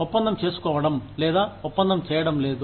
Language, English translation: Telugu, Making the deal, or not doing the deal